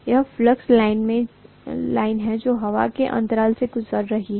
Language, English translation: Hindi, This is the flux line which is passing through the air gap